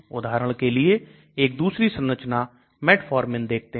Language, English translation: Hindi, Let us look at another structure metformin for example